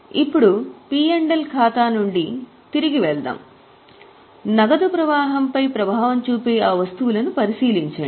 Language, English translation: Telugu, Now let us go back to P&L from profit and loss account, have a look at those items which will have impact on cash flow